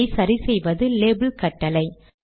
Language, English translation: Tamil, This is solved by the label command